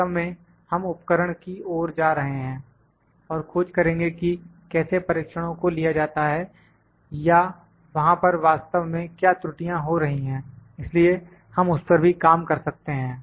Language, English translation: Hindi, We are actually go to the instrument we will find that how observation are being taken, what error is happening actually there so, we can work on that as well